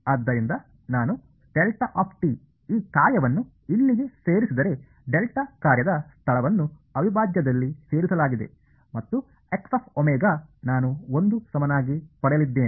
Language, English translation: Kannada, So, if I put delta t into this function over here right the location of the delta function is included in the integral and I am going to get a X of omega equal to 1 right